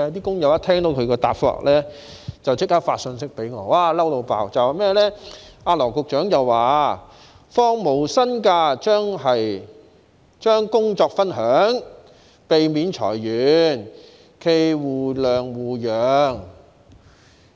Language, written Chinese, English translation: Cantonese, 工友一聽到他的答覆，便立即發信息給我，他們十分生氣，因為羅局長說放無薪假，即是將工作分享，可避免裁員，冀互諒互讓。, Immediately after the workers heard his reply they sent me a message . They were very angry because Secretary Dr LAW Chi - kwong said that taking no - pay leave meant job sharing which could avoid layoffs . He hoped there would be mutual understanding and mutual accommodation